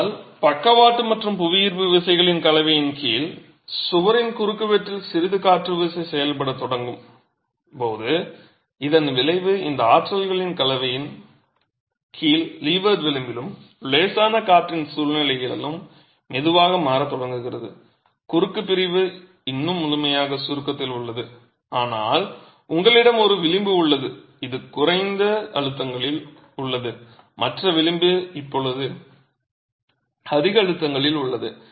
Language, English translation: Tamil, But as you start having some amount of wind force acting on the wall cross section under the combination of lateral and gravity forces, the resultant starts shifting slowly towards the leeward edge and in situation of light wind under a combination of these forces the cross section is still fully in compression but you have one edge which is in lower compressive stresses and the other edge which is now in higher compressive stresses